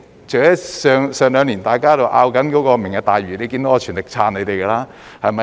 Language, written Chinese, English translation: Cantonese, 這兩年大家都在爭論"明日大嶼"，你看到我全力支持你們。, Over the past two years we have been discussing the Lantau Tomorrow Vision and you can see my full support for it